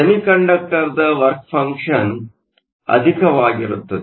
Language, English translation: Kannada, The work function of the semiconductor is higher